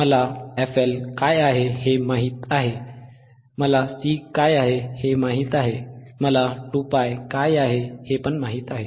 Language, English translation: Marathi, I know what is f L, I know what is C, I know what is 2 pi